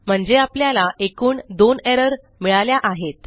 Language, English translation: Marathi, So we get two errors